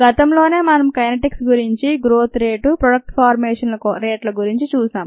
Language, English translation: Telugu, earlier we looked at the kinetics, the rates ah, of ah growth in the rates of products formation